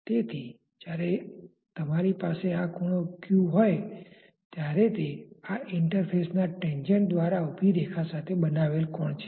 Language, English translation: Gujarati, So, when you have this angle as theta this is the angle made by the tangent to the interface with the vertical